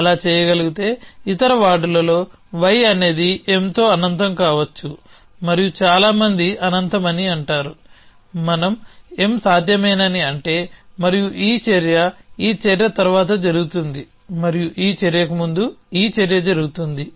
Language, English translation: Telugu, If can so in other wards is y can be infinite with M and many say infinite we mean by could M is possible and this action happens after this action and this action happens before this action